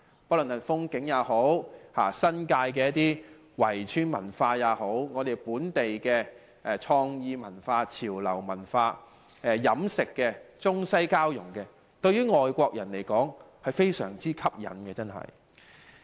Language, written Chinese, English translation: Cantonese, 不論是風景也好，新界圍村文化也好，本地的創意文化、潮流文化、飲食的中西交融也好，對外國人來說均非常吸引。, For foreign visitors the natural landscape of Hong Kong the cultural heritage of the walled villages in the New Territories local creative culture trendy culture as well as the East mixes West culinary characteristics are great attractions